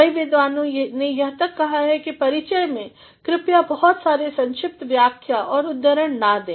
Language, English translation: Hindi, Even many scholars have gone to the extent of saying that in the introduction, please do not give too much of paraphrases and quotations